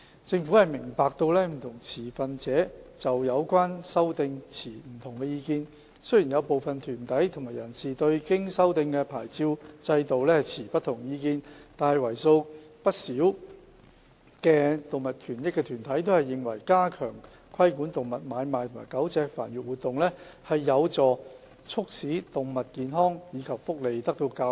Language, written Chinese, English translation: Cantonese, 政府明白，不同持份者就有關修訂持不同意見，雖然有部分團體和人士對經修訂的牌照制度持不同意見，但為數不少的動物權益團體均認為，加強規管動物買賣和狗隻繁育活動，有助促進保障動物健康及福利。, The Government notes that different stakeholders have different views on the relevant amendments . Despite the dissenting views held by some groups and individuals on the revised licensing regime quite a number of animal rights organizations consider that strengthening the regulation of animal trading and dog breeding activities can help promote the protection of animal health and welfare